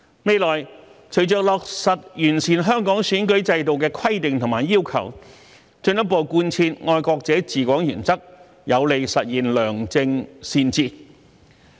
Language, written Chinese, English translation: Cantonese, 未來，隨着落實完善香港選舉制度的規定和要求，進一步貫徹"愛國者治港"原則，有利實現良政善治。, People were glad to see changes . In the future when the Hong Kong electoral system is improved the principle of patriots administering Hong Kong will be further strengthened and this will be conducive to the realization of good policies and sound governance